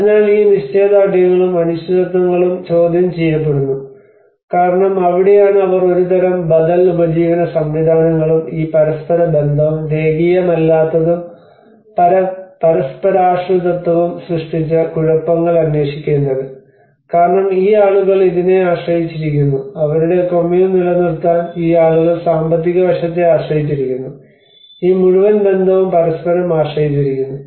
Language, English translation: Malayalam, So all these certainties and uncertainties are in question because that is where they have to look for kind of alternative livelihood systems and the chaos which has been created by this interrelationship and the non linearity and also the interdependence is because these people depend on this to maintain their Kommun and these people depend on the financial aspect and you know this whole relationship are very much interdependent with each other